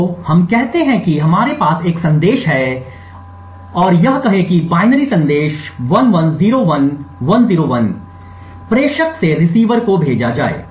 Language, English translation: Hindi, So, let us say that we have a message and assume a binary message of say 1101101 to be sent from the sender to the receiver